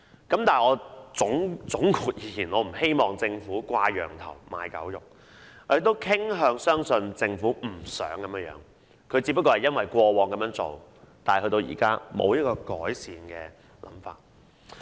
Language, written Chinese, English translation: Cantonese, 但是，總括而言，我不希望政府"掛羊頭賣狗肉"，我也傾向相信政府不想這樣做的，只是因為過往曾這樣做，現在沒有改善的辦法。, However in a nutshell I do not want the Government to cry up wine but sell vinegar . I tend to believe the Government does not want to do so . This is only because it used to do so and there is no way to improve it now